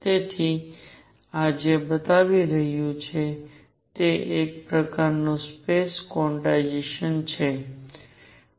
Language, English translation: Gujarati, So, what this is showing is some sort of space quantization